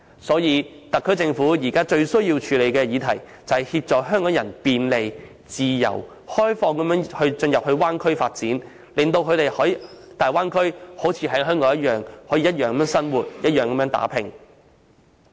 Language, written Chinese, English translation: Cantonese, 所以，特區政府現在最需要處理的議題，是協助港人便利、自由及開放地進入大灣區發展，令他們在大灣區內可如同在香港一般生活和打拼。, Hence actions from the SAR Government are now most required to handle the issue of how it can facilitate the convenient free and open access to the Bay Area by Hong Kong people so that they can live and work there in the same way as they are in Hong Kong